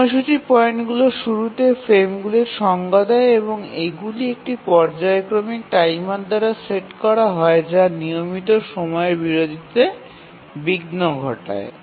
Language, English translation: Bengali, So, the scheduling points define the frames, the beginning of the frames and these are set by a periodic timer which keeps on giving interrupts at regular intervals